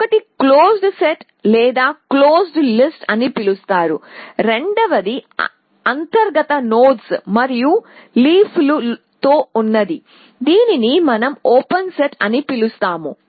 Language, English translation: Telugu, One is called the closed set or closed list which is the internal nodes and the other is the leaves which we call as a open set